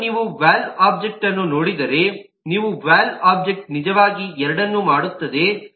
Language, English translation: Kannada, and if you look at the valve object, the valve object actually does kind of both